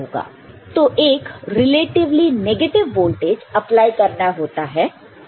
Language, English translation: Hindi, So, a negative voltage, relatively negative voltage needs to be applied